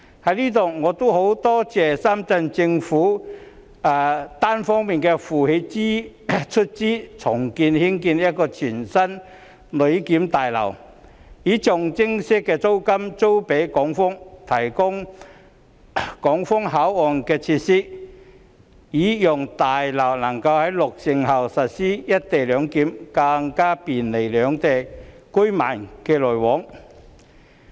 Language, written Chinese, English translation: Cantonese, 我在此感謝深圳政府一方負責出資重建一座全新的旅檢大樓，並以象徵式租金租予港方，提供港方口岸設施，讓大樓能夠在落成後實施"一地兩檢"，更便利兩地居民往來。, Here I wish to thank the Shenzhen Government as it will provide funding for redeveloping a brand new passenger clearance building and lease it to Hong Kong at a nominal rent . It will serve as a port facility for Hong Kong where co - location arrangement will be implemented upon completion and in turn bring more convenience to residents travelling between both places